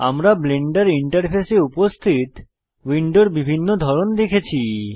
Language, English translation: Bengali, We have already seen different types of windows that are present in the Blender interface